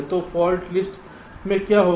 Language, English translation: Hindi, so what will the fault list contain